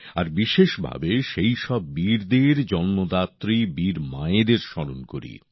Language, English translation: Bengali, And especially, I remember the brave mothers who give birth to such bravehearts